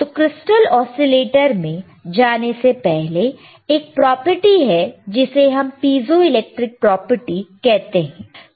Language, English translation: Hindi, So, before we go intto the crystal oscillator, there is a property called piezoelectric property